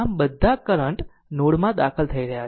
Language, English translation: Gujarati, So, all current are entering into the node right